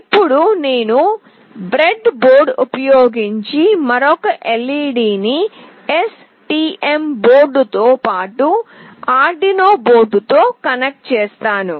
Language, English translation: Telugu, Now I will be connecting another LED using breadboard with the STM board, as well as with the Arduino board